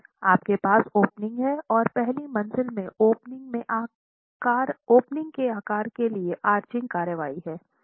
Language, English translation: Hindi, You have an opening and there's arching action onto the sides of the opening in the first story